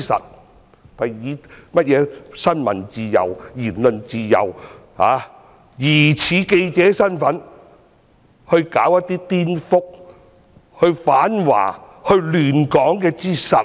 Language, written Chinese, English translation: Cantonese, 他們正是以新聞自由、言論自由之名，疑似以記者身份去攪一些顛覆、反華亂港之實。, They have exactly taken subversive actions as journalists in disguise to act against China and stir up trouble in Hong Kong under the pretexts of safeguarding freedom of the press and freedom of speech